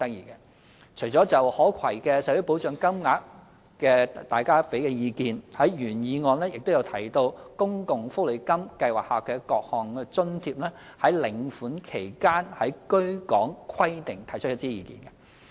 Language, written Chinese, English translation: Cantonese, 大家除了就可攜的社會保障金額給予意見外，原議案亦就公共福利金計劃下各項津貼於領款期間的居港規定提出意見。, Apart from the views Members expressed on portable social security payment the original motion has also voiced an opinion about the residence requirement during receipt of various allowances under the Social Security Allowance Scheme